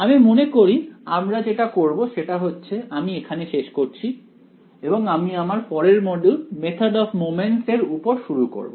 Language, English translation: Bengali, I think what we will do is, we will call it a quit over here instead starting the next module on method of moments so we will stop here